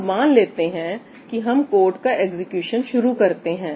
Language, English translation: Hindi, Let us say, now I start the execution of the code